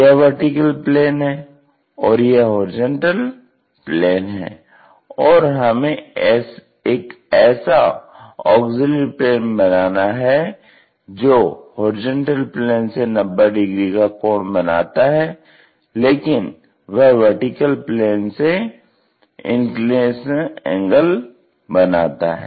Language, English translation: Hindi, This is a auxiliary vertical plane because it is making 90 degrees angle with respect to this horizontal plane, but making an inclination angle with the vertical plane